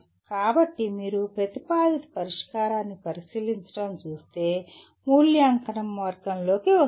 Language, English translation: Telugu, So if you look at examining a proposed solution comes under the category of evaluation